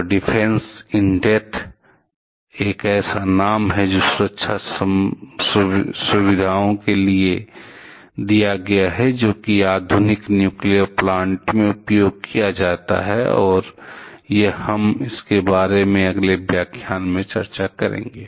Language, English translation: Hindi, So, Defense in depth is the name that is given to the safety features, which are used in modern nuclear power plants and this one we shall be discussing in the next lecture